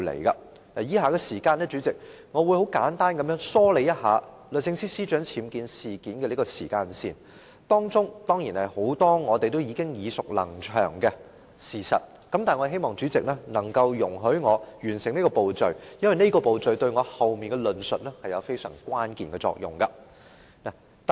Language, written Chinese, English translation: Cantonese, 主席，我會在以下時間簡單梳理一下律政司司長僭建事件的時間線，當中涉及很多我們已耳熟能詳的事實，但我希望主席能容許我完成這個步驟，因為這個步驟對我後面的論述有極關鍵的作用。, President next I will present the timeline of the UBWs concerning the Secretary for Justice . My speech will cover many facts that we are already very familiar with but I hope that the President will allow me to complete this step which is crucial for my ensuing discourse